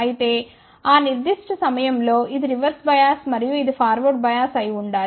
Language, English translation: Telugu, ; However, at that particular point this should be reversed bias and this should be forward bias